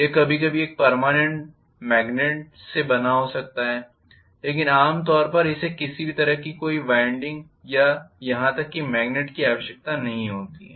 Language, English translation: Hindi, It may be made up of a permanent magnet sometimes but generally it is need not have any winding or even a magnet